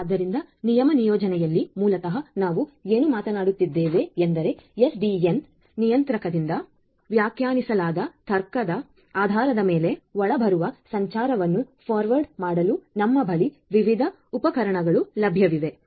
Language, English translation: Kannada, So, in the rule placement basically what we are talking about is that we have different forwarding devices that forward the incoming traffic based on certain control logic that is again defined by the SDN controller